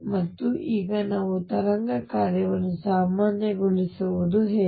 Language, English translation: Kannada, And now how do we normalize the wave function